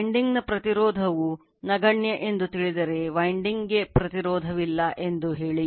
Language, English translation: Kannada, Winding resistance say are negligible, say there is no winding resistance